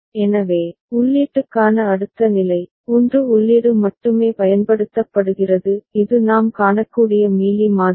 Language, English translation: Tamil, So, next state for input, only 1 input is used; this is the Mealy model we can see